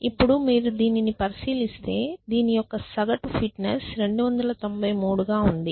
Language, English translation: Telugu, Now, if you look at this average fitness for this it happens to be 293